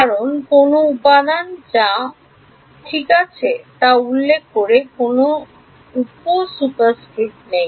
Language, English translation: Bengali, Because there is no sub superscript referring to which element or whatever right ok